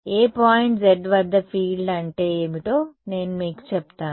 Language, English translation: Telugu, I will tell you what is the field at any point z